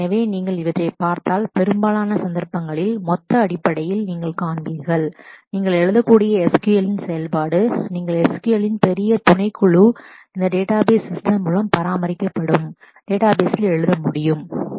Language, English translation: Tamil, So, if you look in through these, then in most cases you will find in terms of the gross functionality of the kind of SQL that you can write, a large subset of the SQL that you can write on databases maintained through these database systems will be same